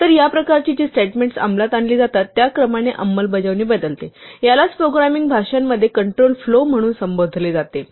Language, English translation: Marathi, So, this kind of execution which varies the order in which statements are executed is referred to in programming languages as control flow